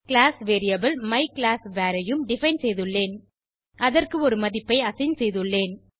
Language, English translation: Tamil, I have also defined a class variable myclassvar And I have assigned a value to it